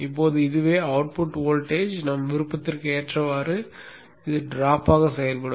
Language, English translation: Tamil, Now this is what will act as the drop such that the output voltage is according to our wishes